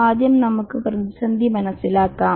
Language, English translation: Malayalam, Let's first get to understand the crisis